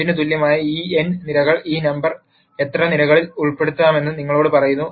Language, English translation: Malayalam, This n columns equal to 2 tells you how many columns this number should be put in